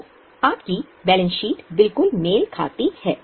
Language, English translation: Hindi, Then will the balance sheet still tally